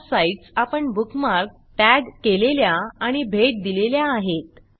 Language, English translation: Marathi, * These are also the sites that youve bookmarked, tagged, and visited